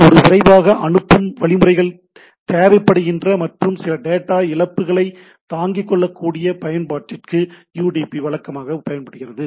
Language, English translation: Tamil, So usually UDP is used for application that need a fast transport mechanisms and can tolerate some loss of data right